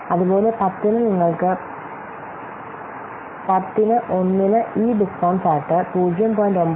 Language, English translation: Malayalam, Similarly for 10 you can see for year 1 for 10 this discount factor is 0